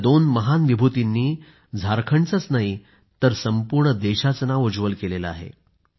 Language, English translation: Marathi, These two distinguished personalities brought glory &honour not just to Jharkhand, but the entire country